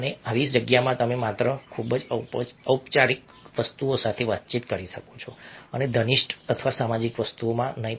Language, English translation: Gujarati, and in such a space you can only communicate very, very formal things and not intimate or social things